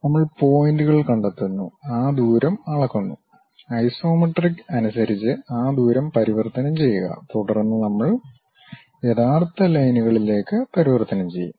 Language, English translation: Malayalam, We locate the points, measure those distance; then convert those distance in terms of isometric, then we will convert into true lines